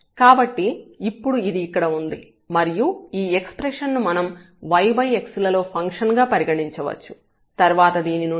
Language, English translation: Telugu, So, now this one here, this expression we can consider as the function of y over x and then what is together here x power minus half